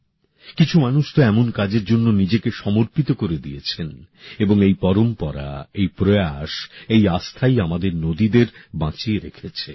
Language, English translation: Bengali, And it is this very tradition, this very endeavour, this very faith that has saved our rivers